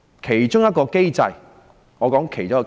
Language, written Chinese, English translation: Cantonese, 其中一個機制是民主選舉。, One way to do so is through the mechanism of democratic elections